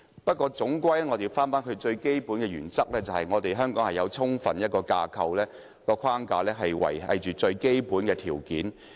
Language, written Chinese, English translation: Cantonese, 不過，總歸最重要的原則是，香港有充分的框架維繫最基本的條件。, That is why it is just natural for problems to occur . But all in all the most important principle is that Hong Kong must have the necessary framework to maintain the ground rules